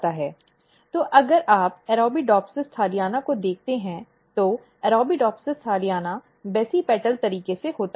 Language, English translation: Hindi, So, if you look Arabidopsis thaliana so in Arabidopsis thaliana it occurs in the basipetal manner